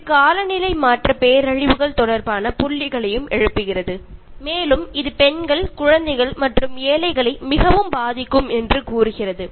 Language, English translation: Tamil, It also rises points related to climate change disasters and says that it will affect the women, the children, and the marginal the most